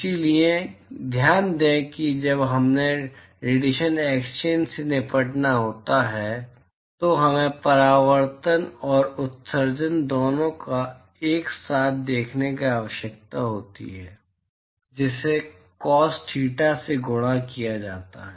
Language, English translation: Hindi, So, note that when we have to deal with radiation exchange, we need to look at both reflection plus emission together right multiplied by cos theta i